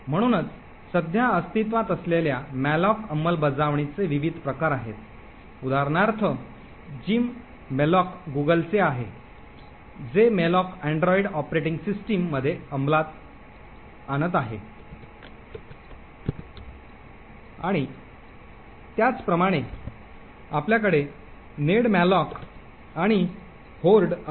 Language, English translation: Marathi, So there are a different variety of malloc implementations that are present, the tcmalloc for example is from Google, jemalloc is implementing in android operating systems and similarly you have nedmalloc and Hoard